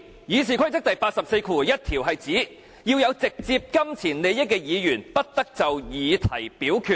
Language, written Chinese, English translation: Cantonese, 《議事規則》第841條是指，有直接金錢利益的議員，不得就議題表決。, RoP 841 stipulates that a Member shall not vote upon any question in which he has a direct pecuniary interest